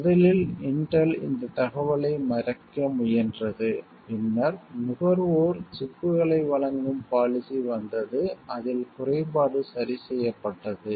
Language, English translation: Tamil, At first Intel sought to hide this information a later came around to a policy of offering consumer chips in which the flaw had been corrected